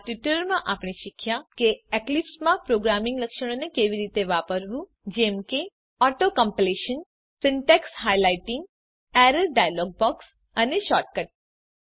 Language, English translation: Gujarati, In this tutorial, we have learnt how to use programming features of Eclipse such as Auto completion, Syntax highlighting, Error dialog box, and Shortcut keys